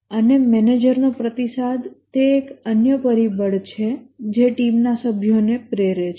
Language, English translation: Gujarati, And the feedback from the manager that is another factor which motivates the team members